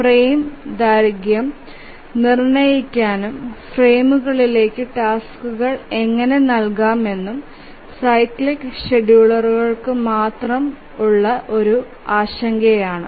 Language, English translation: Malayalam, So, as far as the cyclic schedulers are concerned, one important question to answer is that how to fix the frame duration and how to assign tasks to the frames